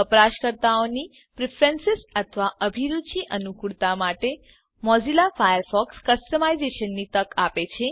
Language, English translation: Gujarati, Mozilla Firefox offers customisation to suit the tastes or preferences of the user